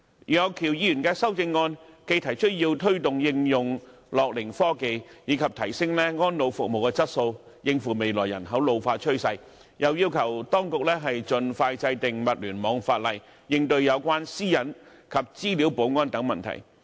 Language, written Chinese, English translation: Cantonese, 楊岳橋議員的修正案既提出要推動應用樂齡科技，以及提升安老服務的質素，應付未來人口老化的趨勢，又要求當局盡快制定物聯網法例，應對有關私隱及資料保安等問題。, Mr Alvin YEUNG in his amendment calls for wider application of gerontechnology and better quality of elderly care services in tackling the future trend of population ageing . He also requests the authorities to expeditiously enact legislation on the Internet of Things to deal with problems associated with privacy data security etc